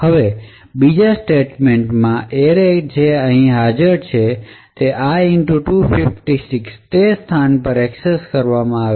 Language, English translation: Gujarati, Now in the second statement an array which is present over here is accessed at a location i * 256